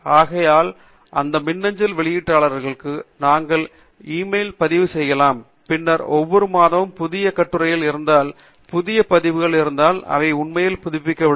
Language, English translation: Tamil, So, we can enroll our email with those respective publishers, and then, they will actually update us if there are new articles or if there are new issues every month